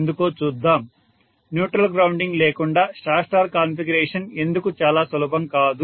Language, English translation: Telugu, Let us see why, why Star Star configuration without neutral grounding cannot be used very easy